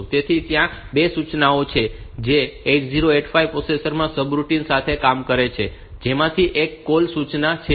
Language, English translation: Gujarati, So, there are 2 instructions that deal with 8085 subroutines in 8085, one is the call instruction